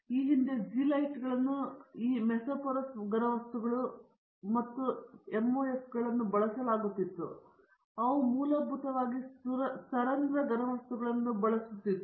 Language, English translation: Kannada, Previously these zeolites were used now mesoporous solids and this MOFs and (Refer Time: 05:17) they are essentially porous solids are being used